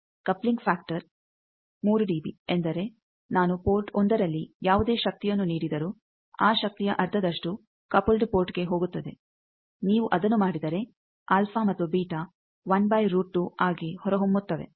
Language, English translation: Kannada, Coupling factor 3 dB means, whatever power I am feeding at port 1 half of that power is going to the coupled port, if you do that then the alpha and beta they turns out to be 1 by root 2